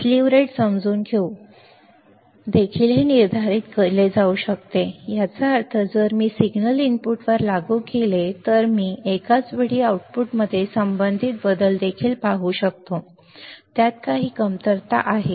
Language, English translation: Marathi, And it can also be determined by understanding the slew rate by understanding the slew rate ; that means, if I apply this signal at the input can I also see the corresponding change in the output simultaneously right it has some lack